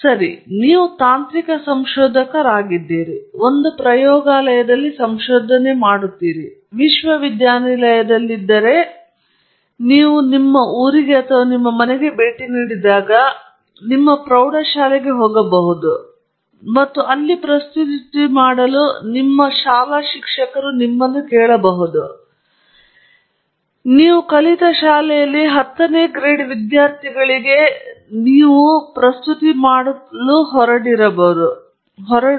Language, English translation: Kannada, Okay so, you are a technical researcher, you are a researcher in a lab, you are in a university, you go to… maybe you go to your high school when you visit your home and your school teachers may ask you to make a presentation to say the tenth grade students or tenth standard students in your school